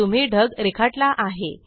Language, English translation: Marathi, You have drawn a cloud